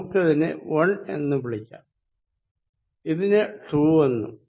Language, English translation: Malayalam, Let us call this 1, let us call this 2